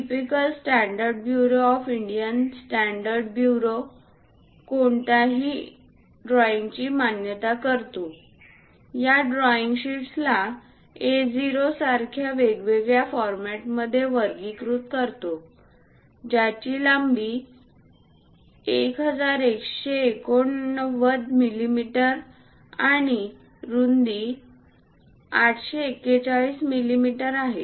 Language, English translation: Marathi, The typical standards bureau of Indian standards recommends for any drawing, categorizing these drawing sheets into different formats like A0, which is having a length of 1189 millimeters and a width of 841 millimeters